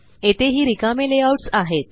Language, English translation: Marathi, There are also blank layouts